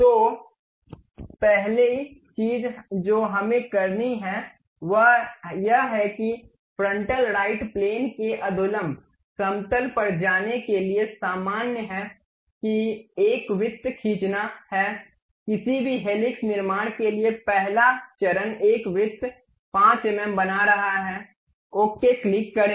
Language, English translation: Hindi, So, the first thing what we have to do is go to frontal right plane normal to that draw a circle, the first step for any helix construction is making a circle 5 mm, click ok